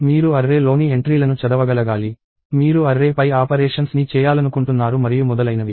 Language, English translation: Telugu, You want to be able to read entries into an array; you want to do operations on an array, and so on